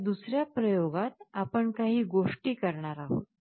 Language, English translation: Marathi, Now in the second experiment, we are doing certain things